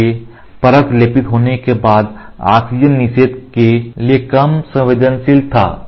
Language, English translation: Hindi, So, the layer was less susceptible to oxygen inhibition after it has been coated